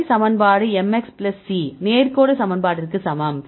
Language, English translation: Tamil, So, we have the equation y equal to mx plus c straight line equation